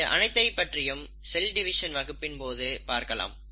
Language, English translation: Tamil, So we’ll look at all this in our class on cell division